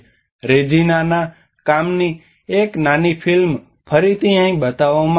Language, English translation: Gujarati, A small film of Reginaís work will be again shown here